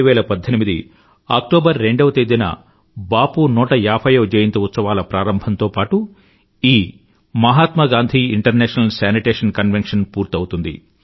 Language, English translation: Telugu, Mahatma Gandhi International Sanitation Convention will conclude on 2nd October, 2018 with the commencement of Bapu's 150th Birth Anniversary celebrations